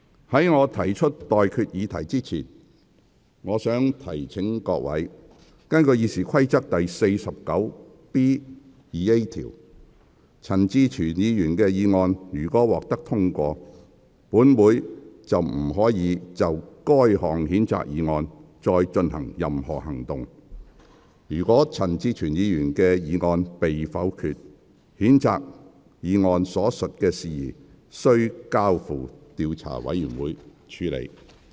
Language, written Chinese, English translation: Cantonese, 在我提出待決議題之前，我想提醒各位，根據《議事規則》第 49B 條，陳志全議員的議案如獲得通過，本會便不得就該項譴責議案再採取任何行動；如陳志全議員的議案被否決，譴責議案所述的事宜須交付調查委員會處理。, Before I put this question to you I would like to remind Members that in accordance with Rule 49B2A of the Rules of Procedure if Mr CHAN Chi - chuens motion is passed the Council shall take no further action on the censure motion . If Mr CHAN Chi - chuens motion is negatived the matter stated in the censure motion should be referred to an investigation committee